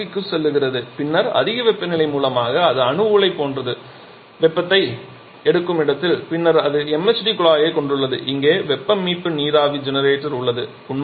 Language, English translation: Tamil, So, it passes to the compressor then a high temperature source something like a nuclear reactor where it picks up the heat then it has the MHD deduct and here we have the heat recovery steam generator